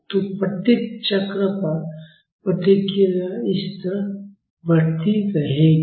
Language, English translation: Hindi, So, hear the responses at each cycle will increase similar to this